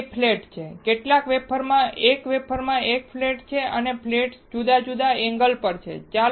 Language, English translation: Gujarati, There are 2 flats, in some wafers there is 1 flat in 1 wafer and the flats are at different angle